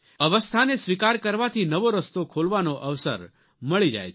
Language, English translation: Gujarati, Accepting a certain state provides us with the opportunity of opening up newer vistas